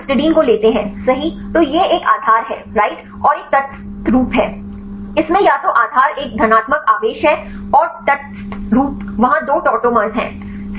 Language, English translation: Hindi, Then if you take the histidine right it is a base right and is a neutral form it has the either the base right a positive charge and neutral form there is two tautomers right